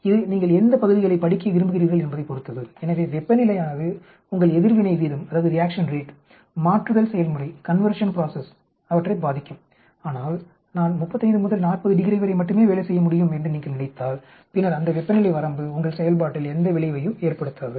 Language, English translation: Tamil, It depends on which regions you want to study, so temperature will affect your reaction rate, conversion process but then if you think I can work only between only 35 and 40 degrees then that range of temperature will not have any effect on your activity